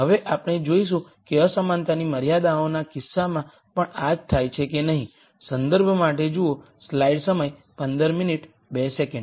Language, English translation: Gujarati, Now we will see whether the same thing happens in the case of inequality constraints